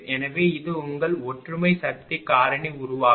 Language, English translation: Tamil, So, it is your unity power factor generation right